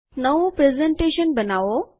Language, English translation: Gujarati, Create new presentation